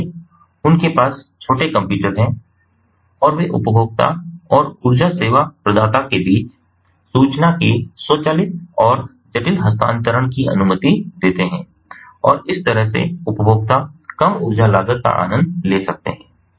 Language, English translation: Hindi, so they have small computers embedded in them and they allow for automated and complex transfer of information between the consumer and the energy service provider, and that way the consumers can enjoy reduced energy cost